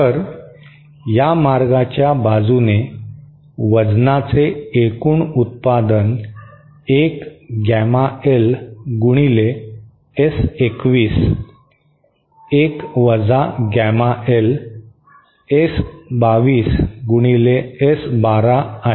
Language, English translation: Marathi, So, along this path, the total product of weights is one gamma L times S21 1 gamma L S22 multiplied by S12